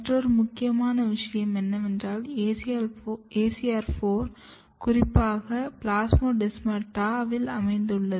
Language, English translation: Tamil, And another important thing what has been seen that this ACR4 is very specifically localized to the plasmodesmata